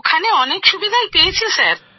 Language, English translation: Bengali, There were a lot of facilities available there sir